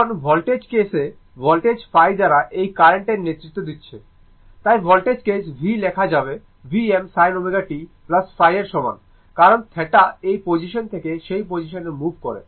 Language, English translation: Bengali, Now voltage case, voltage is leading this current by phi so, voltage case we can write v is equal to V m sin omega t, right plus phi, right